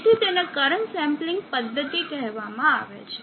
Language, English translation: Gujarati, So this is called current sampling method